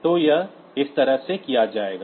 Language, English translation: Hindi, so we are doing it like this